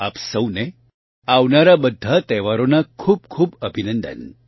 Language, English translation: Gujarati, Heartiest greetings to all of you on the occasion of the festivals